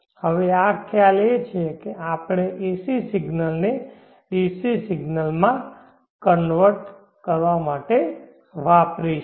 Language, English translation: Gujarati, Now this is the concept that we would be using to convert AC signals to DC Consider the